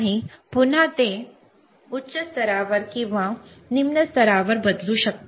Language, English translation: Marathi, And you can again change it to high level or low level